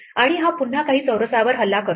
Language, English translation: Marathi, And this one again attacks some squares